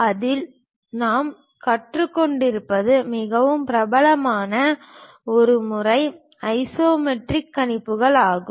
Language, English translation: Tamil, In that a very popular method what we are learning is isometric projections